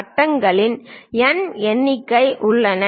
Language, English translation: Tamil, There are N number of circles